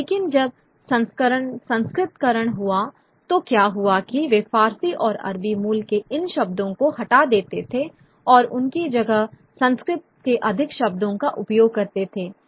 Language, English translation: Hindi, But when Sanskritization happened, what would happen is that they would remove these words of Persian and Arabic origin and replace them with more Sanskritized sort of words